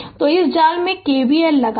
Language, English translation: Hindi, So, apply K V L in this mesh